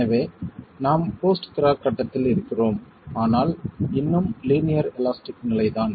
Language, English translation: Tamil, So, we are in the post cracking phase but still linear elastic